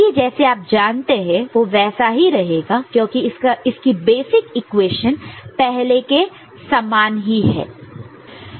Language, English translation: Hindi, Then, the corresponding you know, because the basic equations remain the same, they way we have seen it before